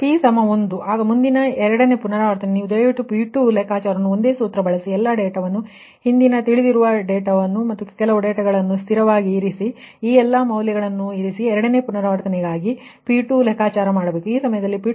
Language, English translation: Kannada, next, second iteration, when p is equal to one, you please calculate p two, calculate, use the same formula, put all the, put all the, all the data, previous data, some data constant that you know, and these all the, all the in values, whatever you have got, whatever you have got here you put and then you calculate p two, calculate for the second iteration